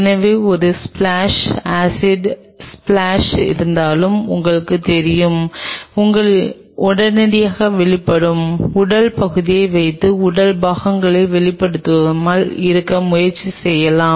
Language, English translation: Tamil, So, that you know even if there is a splash acid splash you can immediately you know put that exposed body part and try not to have exposed body parts